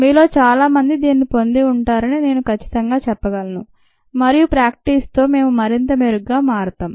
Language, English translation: Telugu, i am sure many of you would have a gotten this and with practice we will become much better, i think